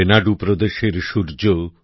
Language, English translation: Bengali, The Sun of Renadu State,